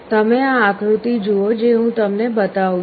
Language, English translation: Gujarati, You see this diagram that I am showing